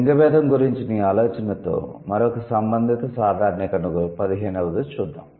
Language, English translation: Telugu, And then with this idea about the gender distinction, another related generalization is 15th one